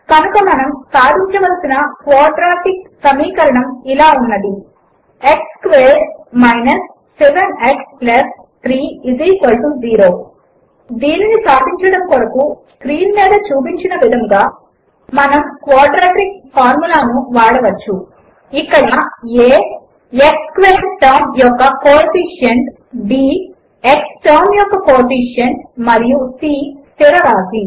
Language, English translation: Telugu, So here is the quadratic equation we will solve, x squared 7 x + 3 = 0 To solve it, we can use the quadratic formula shown on the screen: Here a is the coefficient of the x squared term, b is the coefficient of the x term and c is the constant